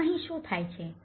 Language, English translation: Gujarati, Now, what happens here